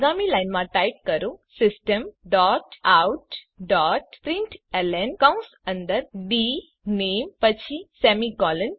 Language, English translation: Gujarati, So next line Type System dot out dot println within brackets dName then semicolon